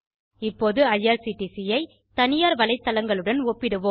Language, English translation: Tamil, We will now compare IRCTC with Private website